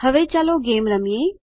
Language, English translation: Gujarati, Now let us play a game